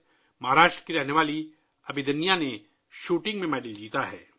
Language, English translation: Urdu, Abhidanya, a resident of Maharashtra, has won a medal in Shooting